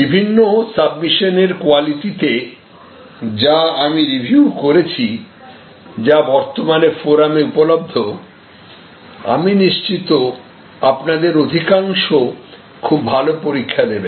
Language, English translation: Bengali, And I am quite sure from the quality of the various submissions that I have reviewed, which are already available on the forum that most of you will do quite well at the exam